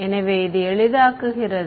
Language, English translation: Tamil, So, this so, this simplifies to